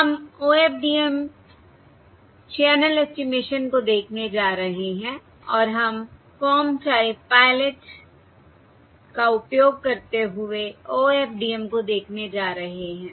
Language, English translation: Hindi, We are going to look at OFDM channel estimation and we are going to look at OFDM using Comb Type Pilot